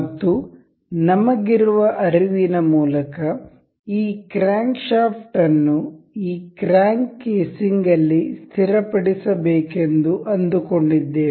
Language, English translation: Kannada, And by intuition we can guess this crank crankshaft is supposed to be fit into this crank casing